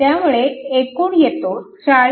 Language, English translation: Marathi, So, total is 40